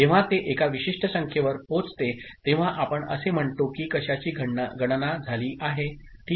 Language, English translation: Marathi, So, when it reaches a specific number, we say the count of something has taken place, ok